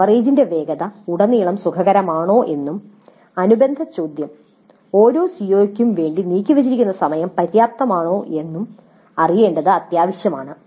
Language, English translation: Malayalam, So it is essential to know whether the pace of coverage was comfortable throughout and the related question, time devoted to each COO was quite adequate